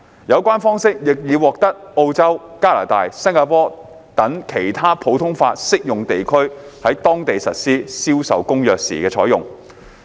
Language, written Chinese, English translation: Cantonese, 有關方式，亦已獲澳洲、加拿大及新加坡等其他普通法適用地區在當地實施《銷售公約》時採用。, This approach has also been adopted by other common law jurisdictions such as Australia Canada and Singapore in their implementation of CISG